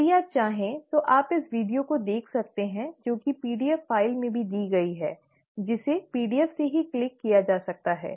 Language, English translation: Hindi, If you want, you could look at this video, which is also given in the pdf file, which can be clicked from the pdf itself